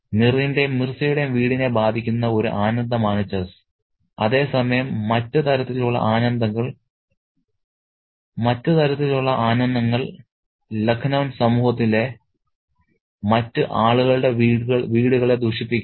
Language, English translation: Malayalam, The chess is the one pleasure that afflicts the home of Meir and Mirza, whereas other kinds of pleasures are corrupting the homes of other people in the society of Lucknow